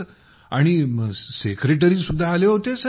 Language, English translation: Marathi, And the secretary who had come sir…